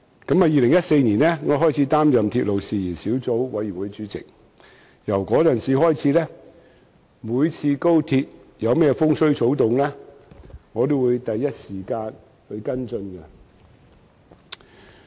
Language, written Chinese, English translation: Cantonese, 我自2014年起擔任鐵路事宜小組委員會主席，自此每當高鐵有何風吹草動，我也會第一時間跟進。, I have been chairing the Subcommittee on Matters Relating to Railways since 2014 . Since then I would follow up any problem with the Express Rail Link XRL at the earliest time possible